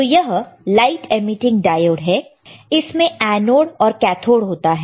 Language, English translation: Hindi, So, this is light emitting diode, again it has an anode and a cathode